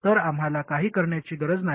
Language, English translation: Marathi, So we don't even have to do anything